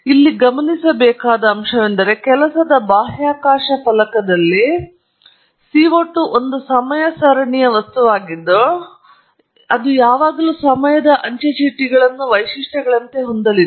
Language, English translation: Kannada, As you must notice here, in the work space panel, CO 2 is a time series object, and therefore, its always going to have time stamps as one of the attributes